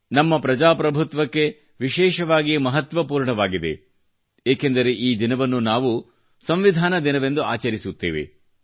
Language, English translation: Kannada, This is especially important for our republic since we celebrate this day as Constitution Day